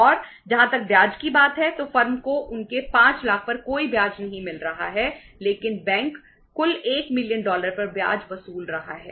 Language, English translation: Hindi, And as far as the interest is concerned the firm is not getting any interest on their 5 lakhs but bank is charging the interest on the total 1 million dollars